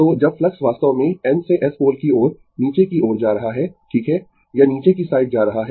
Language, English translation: Hindi, So, when flux actually going to the downwards from N to S pole, right, it is going to the downwards